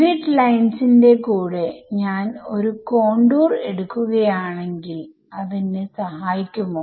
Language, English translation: Malayalam, So, if I take my contour to be along the grid lines will it help me